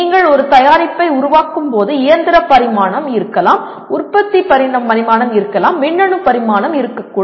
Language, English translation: Tamil, There could be when you are developing a product there could be mechanical dimension, there could be manufacturing dimension, there could be electronics dimension and so on